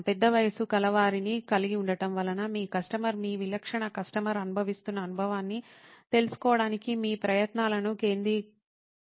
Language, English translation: Telugu, Having a large age group actually does not focus your efforts on finding out what the experience that your customer your typical customer is going through